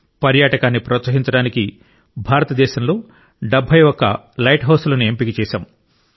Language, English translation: Telugu, To promote tourism 71 light houses have been identified in India too